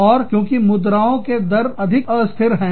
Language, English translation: Hindi, And, because, currency rates fluctuate, very frequently